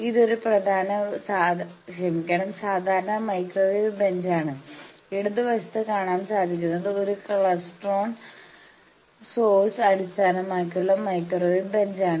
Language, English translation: Malayalam, This is a typical microwave bench, I think all of you have seen it in your thing, you can see the left most side there is a this is a klystron source based microwave bench